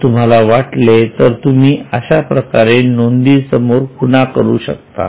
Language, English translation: Marathi, If you want, you can go on marking it like this